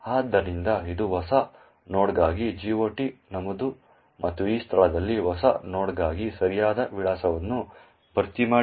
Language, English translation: Kannada, So, this is the GOT entry for new node and it has filled in the correct address for new node in this location